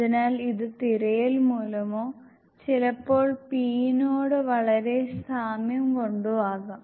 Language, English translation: Malayalam, So this might be only due to the search or sometime it is very resembling to p